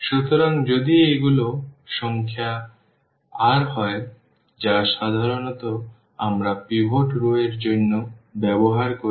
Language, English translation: Bengali, So, if these are the r in number which usually the notation we use for pivot rows